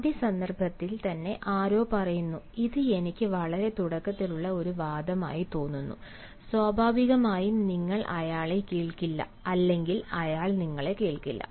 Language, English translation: Malayalam, if, in the very first instance, somebody says that it appears to me a very hasty argument, naturally you will not be listening or in not in a position to listen